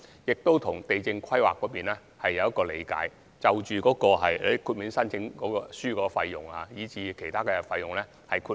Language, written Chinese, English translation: Cantonese, 就地政規劃方面，我們跟地政總署有一項理解，即申請書費用及其他費用可獲得豁免。, As for land planning we have made an agreement with LandsD to exempt the waiver fee and associated costs for land applications